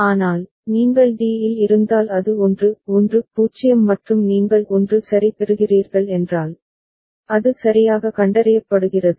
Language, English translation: Tamil, But, if you are at d it is 1 1 0 and you receive a 1 ok, then it is correctly detected right